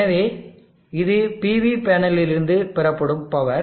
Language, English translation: Tamil, So this is the power that is drawn from the PV panel